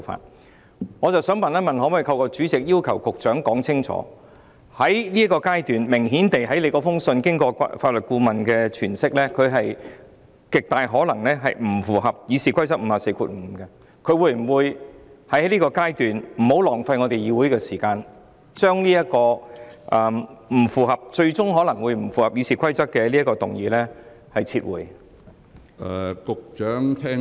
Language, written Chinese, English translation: Cantonese, 但是，我想問一問，可否透過主席要求局長說清楚，在這個階段，根據主席的信件，明顯看到經過法律顧問的詮釋，他極有可能不符合《議事規則》第545條的，故在現階段，他會否為了不浪費議會的時間，而將這項最終可能不符合《議事規則》的議案撤回？, However may I ask the Secretary via the President that on the basis of the Presidents letter and the interpretation of the legal adviser that it is very likely that his proposal cannot satisfy Rule 545 of the Rules of Procedures requirements will he make it clear that he will withdraw the motion which ultimately may not satisfy the requirements under the Rules of Procedure for the sake of not wasting the time of the legislature at the current stage?